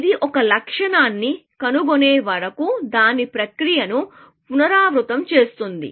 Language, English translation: Telugu, It repeats its process till it finds a goal